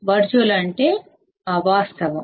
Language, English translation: Telugu, Virtual means not real